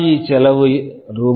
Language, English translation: Tamil, If your NRE cost is Rs